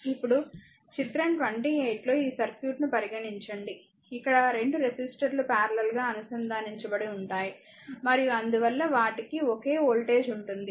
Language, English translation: Telugu, Now, consider this circuit of figure your 28, right; Where 2 resistors are connected in parallel, and hence they have the same voltage across them